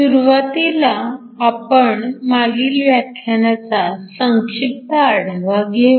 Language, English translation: Marathi, Let us start with the brief review of last class